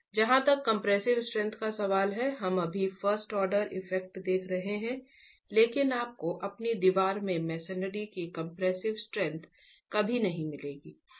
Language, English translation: Hindi, We've just been looking at a first order effect as far as arriving at the compressive strength is concerned, but you will never get that compressive strength of masonry in your wall